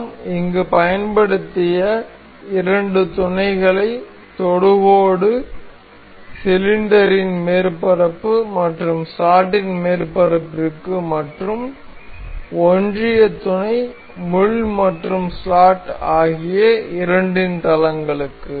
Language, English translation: Tamil, The two the two mates we have used here is tangent, the surface of the cylinder and the surface of the slot and the coincidental planes of the both of these, the pin and the slot